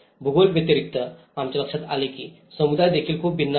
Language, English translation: Marathi, Apart from geography, we also notice that community is also very different